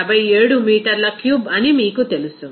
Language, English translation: Telugu, 57 meter cube